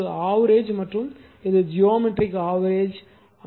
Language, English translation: Tamil, So, this is arithmetic mean and this is geometric mean right